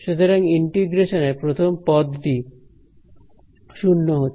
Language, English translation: Bengali, So, this integration goes to the first term goes to 0